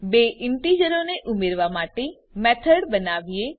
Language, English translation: Gujarati, Let us create a method to add these two integers